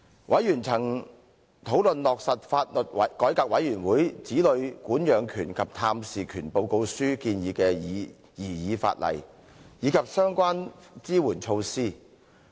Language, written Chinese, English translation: Cantonese, 委員曾討論落實法律改革委員會《子女管養權及探視權報告書》建議的擬議法例，以及相關支援措施。, Discussions were made by members on the proposed legislation to implement the recommendations of the Law Reform Commission Report on Child Custody and Access as well as the relevant support measures